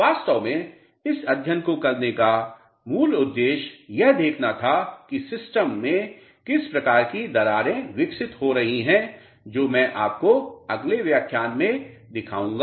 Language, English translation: Hindi, Actually basic intent of doing this study was to see what type of cracks are developing in the system which I will show you in the next lecture